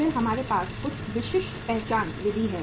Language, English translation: Hindi, Then we have the say some specific identification method